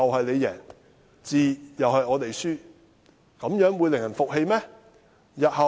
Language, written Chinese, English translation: Cantonese, 這種做法會令人服氣嗎？, Is this approach convincing?